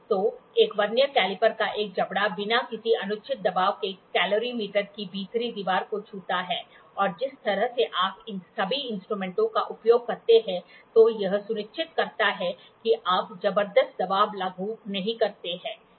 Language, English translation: Hindi, So, a jaw of a Vernier caliper touches the inner wall of a calorimeter without any undue pressure and by the way when you use all these instruments makes sure that you do not apply tremendous pressure